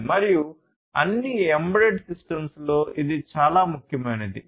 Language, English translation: Telugu, And this is the most important of all embedded systems